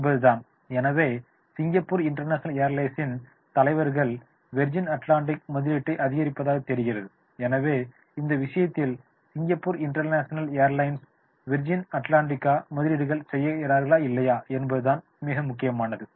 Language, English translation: Tamil, So Singapore industry international airlines leaders seem to be in support of the Virginia Atlantic investments and therefore in that case, it will be very, very important that is the whether the Singapore international airlines go with the VA investments or they should not go with the VA investments